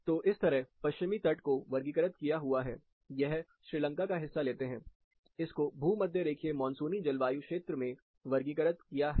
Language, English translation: Hindi, So, most of this west coast is classified, and say part of Sri Lanka, it is classified as equatorial, monsoonal climatic zone